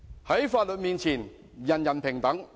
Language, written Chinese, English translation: Cantonese, 在法律面前，人人平等。, All are equal before the law